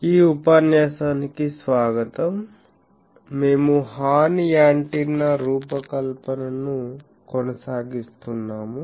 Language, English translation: Telugu, Welcome to this lecture, we are continuing the design of Horn Antenna